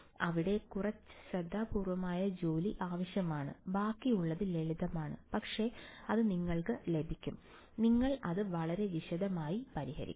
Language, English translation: Malayalam, So, some amount of careful work is needed over there, then the rest is simple, but will get it you will solve it in great detail